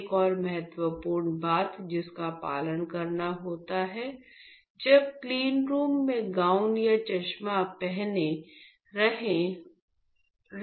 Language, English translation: Hindi, Another important thing which has to be followed while you gown in cleanroom is wearing the glasses